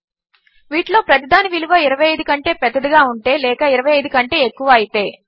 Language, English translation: Telugu, If each of these values is greater than 25 or bigger than 25